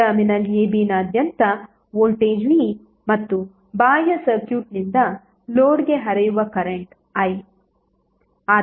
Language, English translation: Kannada, So voltage across terminal a b is V and current flowing into the load from the external circuit is current I